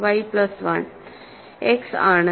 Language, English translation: Malayalam, y plus 1 is just X, right